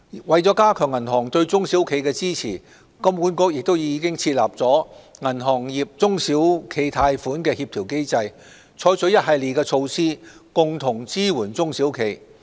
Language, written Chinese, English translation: Cantonese, 為加強銀行對中小企的支持，金管局已設立銀行業中小企貸款協調機制，採取一系列措施，共同支援中小企。, HKMA has established a Banking Sector SME Lending Coordination Mechanism to implement a series of support measures for SMEs